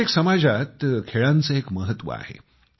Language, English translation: Marathi, Sports has its own significance in every society